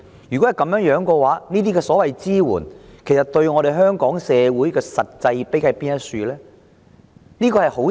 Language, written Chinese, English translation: Cantonese, 若然如此，這些所謂支援對香港社會的實際裨益何在？, In that case what is the actual benefit of such so - called support to our society?